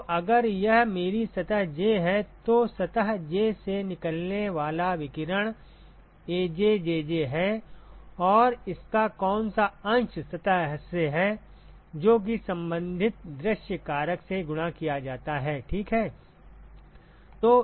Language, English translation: Hindi, So, if this is my surface j then the radiation that comes out of surface j is AjJj and what fraction of that is lead by surface i that multiplied by the corresponding view factor ok